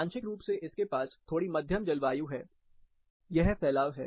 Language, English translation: Hindi, Partly it has, little moderate climate, this is the distribution